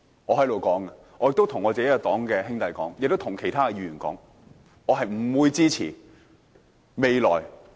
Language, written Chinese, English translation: Cantonese, 我在這裏對我所屬政黨的兄弟和其他議員說，我是不會支持的。, I proclaim here to my fellow party buddies and to other Members of this Council that I am not supporting it